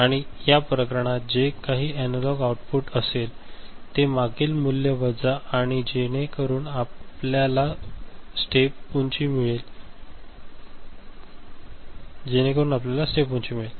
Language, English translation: Marathi, And in this case, this output whatever analog output, you can see minus the previous value whatever, so that gives you the step height